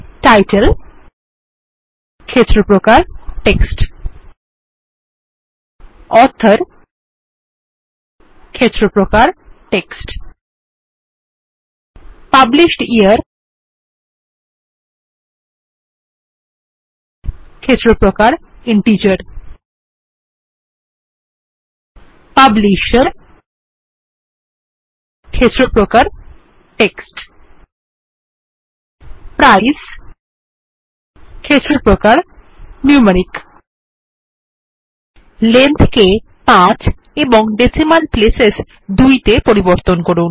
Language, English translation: Bengali, Title, Field type Text, Author Field type Text, Published Year Field type Integer Publisher Field type Text Price Field type Numeric Change the Length to 5 and Decimal places to 2